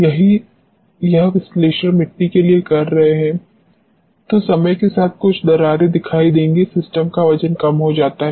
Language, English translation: Hindi, If the same analysis has been doing for the soils, you would have found some cracking taking place with respect to time, the weight of the system decreases